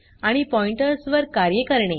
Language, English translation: Marathi, And operations on Pointers